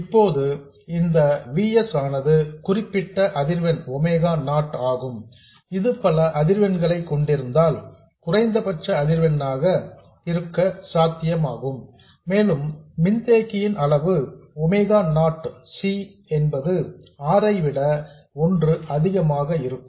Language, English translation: Tamil, Now, this VS has a certain frequency omega not, if it consists of multiple frequencies this will be the minimum possible frequency and the capacity size such that omega not C is much more than 1 by r